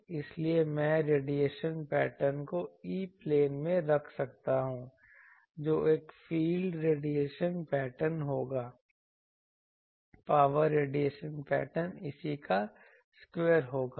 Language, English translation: Hindi, So, I can put the radiation pattern in the E plane that will, it is a field radiation pattern; power radiation pattern will be square of this